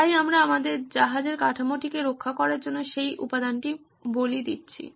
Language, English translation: Bengali, So we are sacrificing that material to protect our hull of the ship